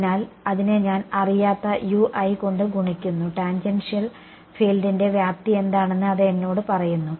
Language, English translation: Malayalam, So, I multiply that by a unknown ui which tells me what is the magnitude of the tangential field right